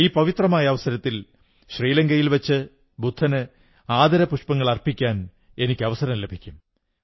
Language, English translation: Malayalam, On this holy event I shall get an opportunity to pay tributes to Lord Budha in Sri Lanka